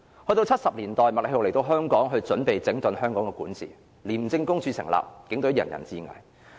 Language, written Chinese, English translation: Cantonese, 到1970年代，麥理浩來港準備整頓香港的管治，成立廉署，當年警隊人人自危。, In the 1970s Murray MACLEHOSE came to Hong Kong to fix the governance problem . His establishment of ICAC had brought fear to the entire Police Force